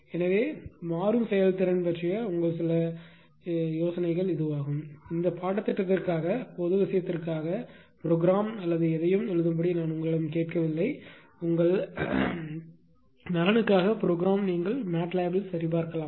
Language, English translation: Tamil, So, that is your ah some ideas about the dynamic performances; I am not asking you to write code or anything just for general thing for this course no no question of writing code right for your own interest you can verify in MATLAB